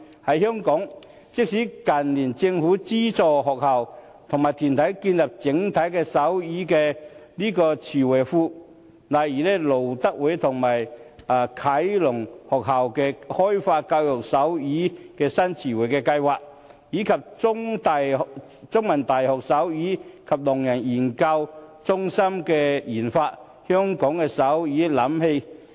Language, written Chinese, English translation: Cantonese, 在香港，政府近年資助學校和團體建立手語詞彙庫，例如資助路德會啟聾學校開發教學手語新詞彙計劃，以及資助香港中文大學的手語及聾人研究中心研發香港手語瀏覽器。, In Hong Kong the Government has in recent years subsidized schools and organizations in building up a sign language glossary . For example the Government has granted a subsidy to the Lutheran School For The Deaf to develop a set of vocabularies sign language in teaching . The Centre for Sign Linguistics and Deaf Studies of The Chinese University of Hong Kong has received a subsidy from the Government to develop the Hong Kong Sign Language Browser